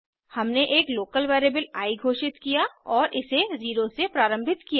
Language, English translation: Hindi, We had declared a local variable i and initialized it to 0